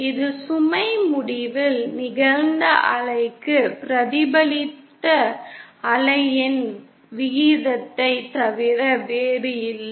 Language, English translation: Tamil, This is nothing but the ratio of the reflected wave to the incident wave at the load end